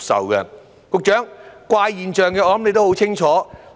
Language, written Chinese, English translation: Cantonese, 局長，就着怪現象，我相信你都很清楚。, Secretary I believe you are well aware of the strange phenomena